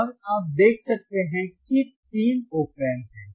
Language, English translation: Hindi, And you can see that you know there are three OP Amps